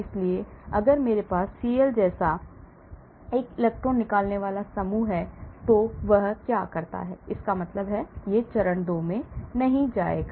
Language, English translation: Hindi, whereas if I have an electron withdrawing group like CL what happens; this does not take place that means, phase 2 will not happen